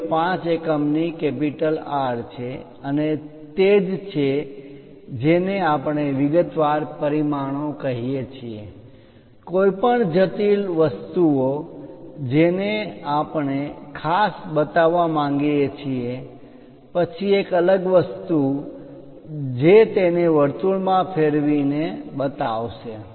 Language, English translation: Gujarati, 05 units and that is what we call detail dimensions, any intricate things which we would like to specifically show, then a separate thing like rounding it off into circle and show it